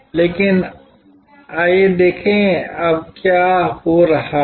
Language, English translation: Hindi, But, let us see what is happening now